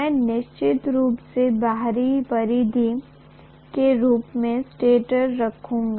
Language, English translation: Hindi, I am definitely going to have probably the stator as the outer periphery